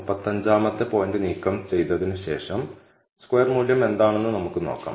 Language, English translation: Malayalam, So, after removing the 35th point, I am able to see a pretty good change in the R squared value